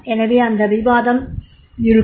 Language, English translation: Tamil, So there can be a discussion